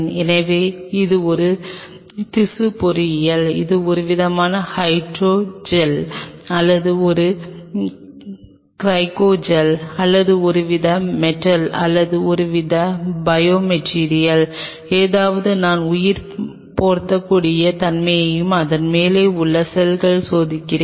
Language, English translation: Tamil, So, it is a tissue engineering it is some kind of hydro gel or a cryogel or some kind of metal or some kind of a biomaterial something I am testing the bio compatibility and the cells around top of it right